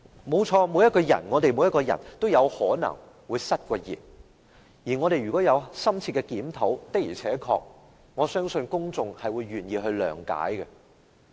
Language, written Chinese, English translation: Cantonese, 沒錯，每一個人都有可能會失言，只要我們有深切檢討，相信公眾也願意諒解。, It is true that every one of us can make a slip of tongue and as long as we have had a deep reflection about our mistakes people would be willing to understand